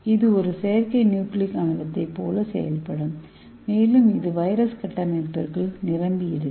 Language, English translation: Tamil, So it acts like a artificial nucleic acid and it will be packed inside the viral structure